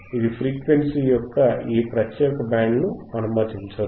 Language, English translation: Telugu, iIt will not allow this particular band of frequency to pass